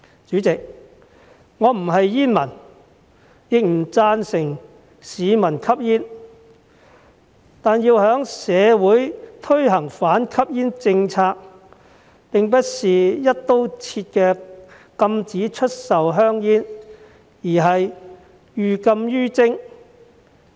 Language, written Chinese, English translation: Cantonese, 主席，我不是煙民，亦不贊成市民吸煙，但要在社會推行反吸煙政策並不是"一刀切"的禁止出售香煙，而是寓禁於徵。, President I am not a smoker and I do not approve of smoking . Nevertheless the introduction of an anti - smoking policy in society should not be an across - the - board ban on the sale of cigarettes but rather the imposition of heavy taxes to deter smoking